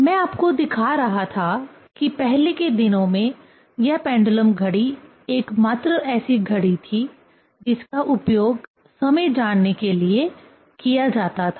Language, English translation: Hindi, I was showing you that this pendulum clock in earlier days was the only clock which was used to know the time